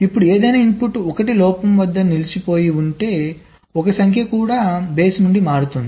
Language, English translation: Telugu, now, if any one of the input is having stuck at one fault, so number of one will change from even to odd